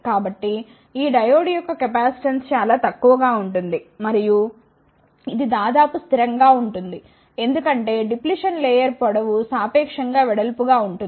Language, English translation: Telugu, So, the capacitance for this diode will be very less and it will be almost constant, because the depletion layer length is relatively wide